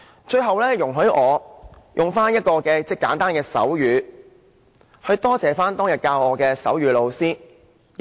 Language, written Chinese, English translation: Cantonese, 最後，容許我以簡單的手語來感謝當天教導我手語的老師。, Finally please allow me to use very simple sign language to thank my sign language teacher back then